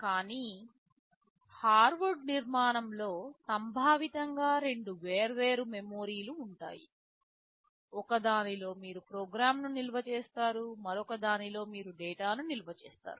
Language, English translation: Telugu, But in Harvard architecture conceptually there are two separate memories; in one you store the program, in another you store the data